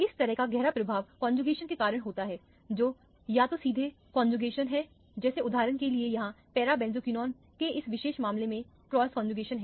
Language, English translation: Hindi, Such a profound effect is because of the conjugation which is either a straight conjugation like here for example, or the cross conjugation in this particular case of the para benzoquinone